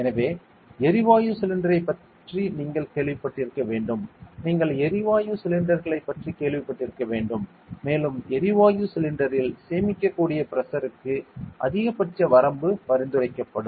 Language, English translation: Tamil, So, we have an idea about pressure when we must have heard of a gas cylinder ok, you must have heard of gas cylinders and there will be prescribed maximum limit for the pressure that can be stored in a gas cylinder and such stuffer there ok